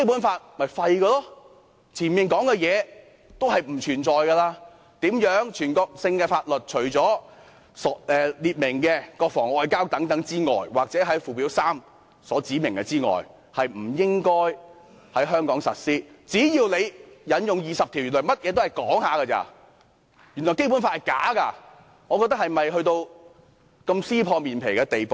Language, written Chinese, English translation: Cantonese, 之前的條文皆沒有意義了，全國性的法律除列明的國防和外交，又或在附件三所指明的之外，不應在香港實施，但只要你引用第二十條，原來甚麼也是說說而已，原來《基本法》是假的，是否要到如此撕破臉皮的地步呢？, All its previous provisions become meaningless such as the one forbidding the application of national laws in the Hong Kong SAR except for those relating to defence foreign affairs or those listed in Annex III . But now the Government can invoke Article 20 to override this provision . The provisions are just empty talks